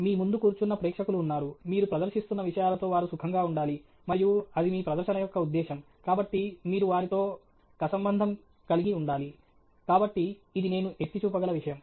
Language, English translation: Telugu, There is an audience sitting in front of you, they have to feel comfortable with the material you are presenting, and that’s the purpose of your presentation, and so you need to connect with them; so, that’s something that I will highlight